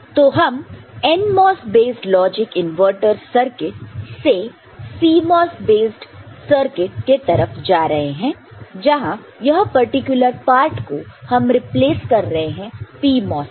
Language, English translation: Hindi, So, from a NMOS based logic inverter circuit, we have moved to CMOS base circuit where the particular part is replaced by a PMOS, ok